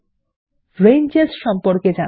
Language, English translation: Bengali, Lets learn about Ranges